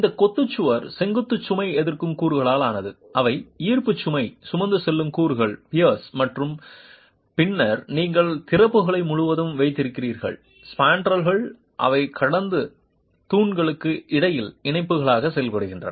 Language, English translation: Tamil, This masonry wall is composed of the vertical load resisting elements which also are the gravity load carrying elements, the piers, and then you have across the openings span drills with span and act as couplers between the peers